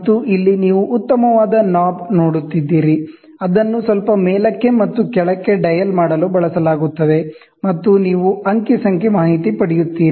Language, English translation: Kannada, And here you see a fine knob which is there, which is used for slightly dialing up and down, and you get the data